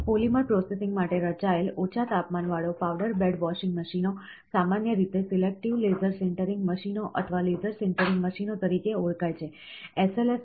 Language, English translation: Gujarati, Low temperature powder bed washing machines designed for polymer processing, are commonly called as selective laser sintering machines, or laser sintering machines